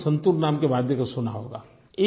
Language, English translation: Hindi, You must have heard of the musical instrument called santoor